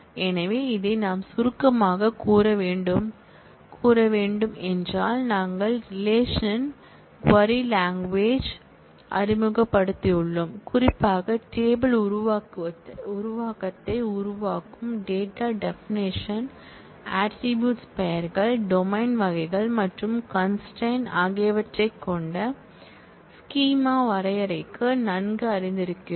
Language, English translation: Tamil, So, this is what we have to summarize, we have introduced the relational query language and particularly familiarize ourselves with the data definition that is creation of the table creation, of the schema with the attribute names, domain types and constraints